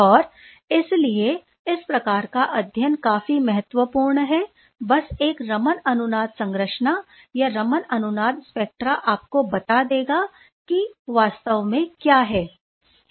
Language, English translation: Hindi, And therefore, this sort of this sort of studies are quite important just to have a resonance Raman structure or resonance Raman assign spectra will tell you what is there in reality